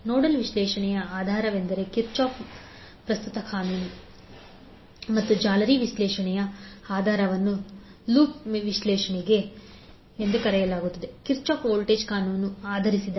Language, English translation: Kannada, So the basis of nodal analysis is Kirchhoff current law and the basis for mesh analysis that is also called as loop analysis is based on Kirchhoff voltage law